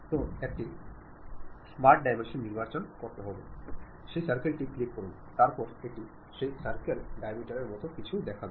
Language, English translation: Bengali, So, pick smart dimension, click that circle, then it shows something like diameter of that circle